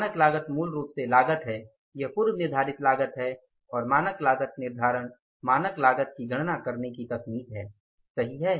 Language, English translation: Hindi, Standard cost is basically the cost, it is a predetermined cost and standard costing is the technique of calculating the standard cost